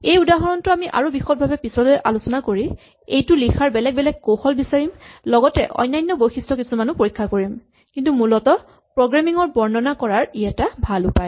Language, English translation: Assamese, We will look at this example in more detail as we go long, and try to find other ways of writing it, and examine other features, but essentially this is a good way of illustrating programming